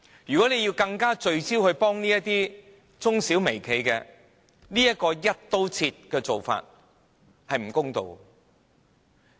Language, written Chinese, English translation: Cantonese, 政府若要聚焦地幫助中小微企，這種"一刀切"的做法是不公道的。, If the Government wants to focus on helping SMEs and micro enterprises this kind of across - the - board approach is unfair